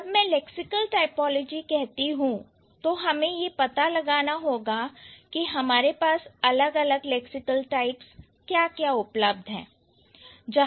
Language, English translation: Hindi, So, when I say lexical typology, then we need to find out what are the different lexical types that we have